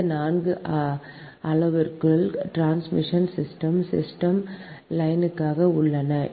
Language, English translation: Tamil, these four parameters are there for transmission system, a transmission line